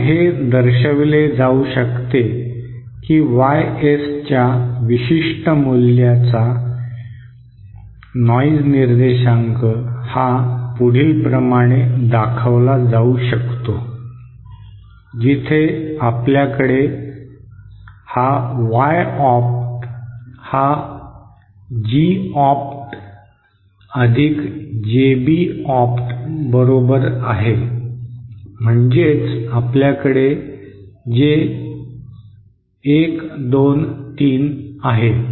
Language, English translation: Marathi, Then it can be shown that the noise figure for particular value of YS is given by where we have this Y opt is equal to G opt plus JB opt so what we have is 1 2 3